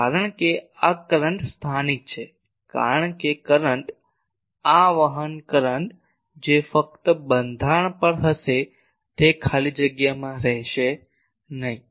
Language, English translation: Gujarati, Because this current is localized because the current; this conduction current that will be only on this structure it will not be in the free space